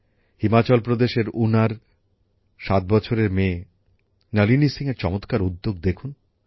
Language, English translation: Bengali, Look at the wonder of Nalini Singh, a 7yearold daughter from Una, Himachal Pradesh